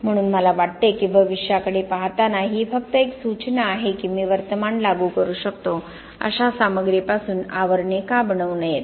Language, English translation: Marathi, So I think looking into the future, it is just the suggestion obviously, why not make the sheaths out of material where I can apply current